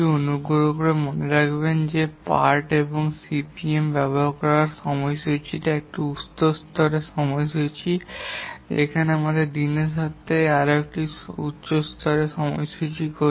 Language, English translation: Bengali, Please remember that the project scheduling using Parton CPM is a higher level scheduling where we do a high level scheduling in terms of days